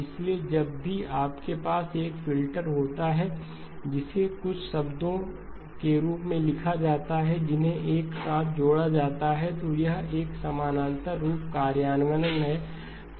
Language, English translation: Hindi, So whenever you have a filter, which has been written as to some terms that are added together then it is a parallel form implementation